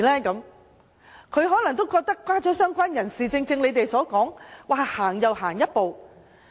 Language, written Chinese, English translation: Cantonese, 他們可能覺得加入"相關人士"是踏前了一步。, They might think that the addition of related person means a step forward